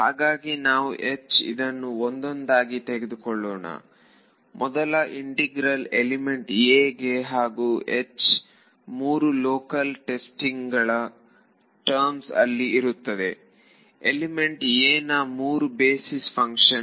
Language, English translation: Kannada, So, the first integral is over element a and H is going to be in terms of the three local testing; three local basis function of element a